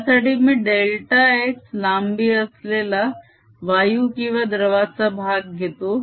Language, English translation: Marathi, for this i consider a portion of gas or liquid in this which is here of length, delta x